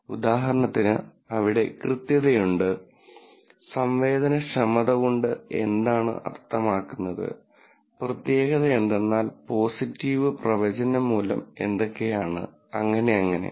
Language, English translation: Malayalam, So, for example, there is accuracy, what does sensitivity means, specificity means positive predictive value and so on mean